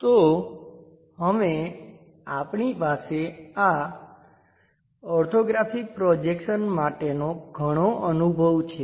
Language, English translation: Gujarati, So, now we will have hands on experience for this orthographic projections